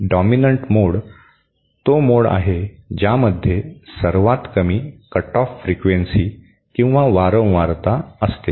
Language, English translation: Marathi, Dominant mode is that mode which has the lowest cut off frequency